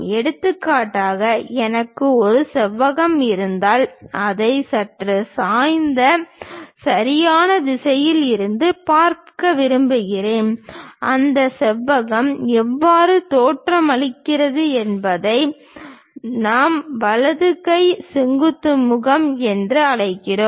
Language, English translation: Tamil, For example, if I have a rectangle and I would like to view it from slightly inclined right direction the way how that rectangle really looks like that is what we call right hand vertical face thing